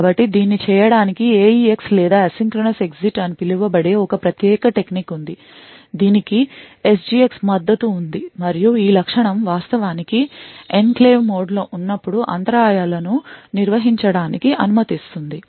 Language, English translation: Telugu, So, in order to do this there is a special technique known as the AEX or the Asynchronous Exit which is supported by SGX and this feature would actually permit interrupts to be handled when in enclave mode as well